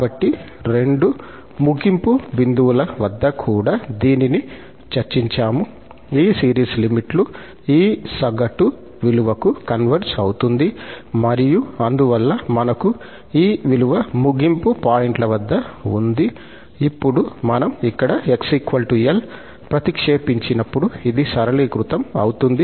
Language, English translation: Telugu, So, at both the end points also, we have discussed the convergence that again this series converges to this average value of the limits and thus, we have this value at the end points, now, when we substitute here x is equal to L this will be simplified